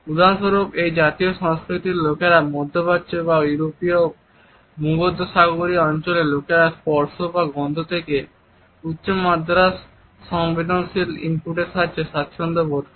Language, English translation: Bengali, People in such cultures for example, people in the Middle East or in the Mediterranean region of Europe are comfortable with high levels of sensory inputs from touch or also from a smell